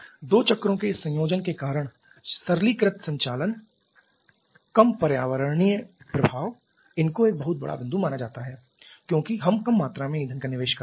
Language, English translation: Hindi, Simplified operation because of this combination of the two cycles lower environmental impact that is a very big point to be considered as we are investing less amount of fuel